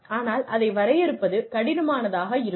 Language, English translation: Tamil, But, it becomes difficult to define that